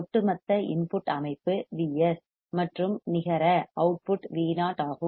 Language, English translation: Tamil, The overall input system is V s and the net output is V o